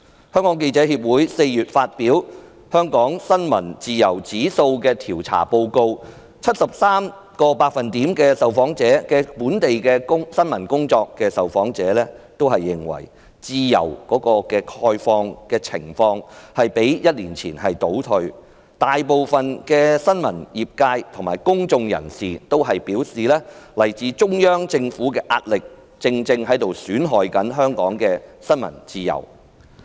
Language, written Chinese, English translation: Cantonese, 香港記者協會4月發表"香港新聞自由指數調查報告"，顯示有 73% 在本地從事新聞工作的受訪者認為，香港新聞自由的情況較1年前倒退，大部分新聞業界和公眾人士均表示，來自中央政府的壓力正在損害香港的新聞自由。, The Hong Kong Journalists Association published a report on the Press Freedom Index Survey in Hong Kong in April . It was found that 73 % of the respondents who were engaged in journalistic work in Hong Kong opined that press freedom in Hong Kong had declined compared to that of a year ago . Most of the journalists and members of the public said that the pressure from the Central Government was eroding freedom of the press in Hong Kong